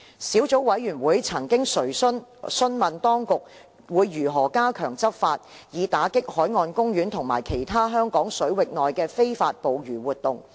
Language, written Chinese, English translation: Cantonese, 小組委員會曾詢問當局如何加強執法，以打擊海岸公園及其他香港水域內的非法捕魚活動。, The Subcommittee has asked the Administration how it will strengthen enforcement actions to combat illegal fishing activities in marine parks and other Hong Kong waters